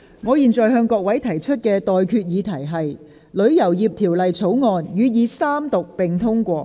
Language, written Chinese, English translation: Cantonese, 我現在向各位提出的待決議題是：《旅遊業條例草案》予以三讀並通過。, I now put the question to you and that is That the Travel Industry Bill be read the Third time and do pass